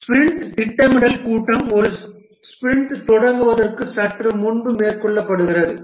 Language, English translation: Tamil, The sprint planning meeting, it is undertaken just before a sprint starts